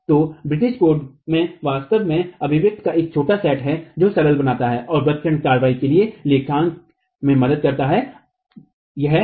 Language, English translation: Hindi, So, the British code actually has a set of expressions that simplifies and helps in accounting for the arching action